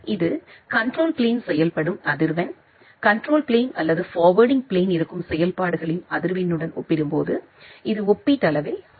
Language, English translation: Tamil, So this, the frequency of operations in the control plane, it is comparatively higher compared to the frequency of operations which is there in the data plane or the forwarding plane